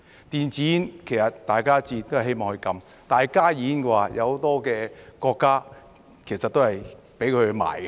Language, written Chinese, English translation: Cantonese, 電子煙，其實大家都希望禁止，但加熱煙的話，有很多國家其實都是准許售賣。, In fact we all want to ban e - cigarettes but in the case of HTPs many countries actually allow the sale of them